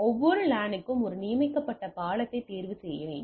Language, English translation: Tamil, For each LAN choose a designated bridge